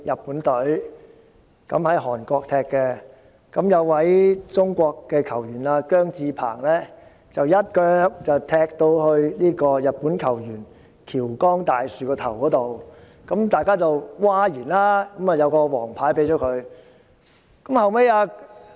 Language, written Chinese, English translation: Cantonese, 比賽期間，中國球員姜至鵬一腳踢向日本球員橋岡大樹的頭部，引起譁然，球證於是出示黃牌。, During the match Chinese football player JIANG Zhipeng landed a kick on the head of Japanese football player Daiki HASHIOKA and caused an uproar and the adjudicator showed a yellow card